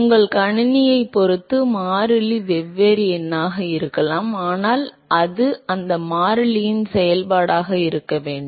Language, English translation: Tamil, If the constant can be different number depending upon your system, but it has to be a function of that constant